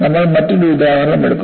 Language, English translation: Malayalam, We take another example